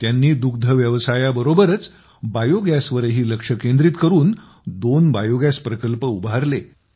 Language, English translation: Marathi, Along with dairy, he also focused on Biogas and set up two biogas plants